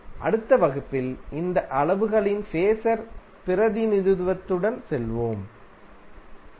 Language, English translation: Tamil, In next class we will carry forward with the phasor representation of these quantities, Thank you